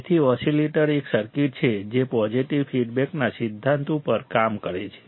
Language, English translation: Gujarati, So, oscillator is a circuit that works on the principle of positive feedback